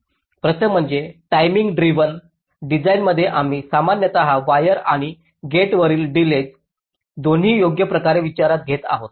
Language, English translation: Marathi, first is that in timing driven design we are typically considering both the wire and gate delays, right, so we are trying to optimize them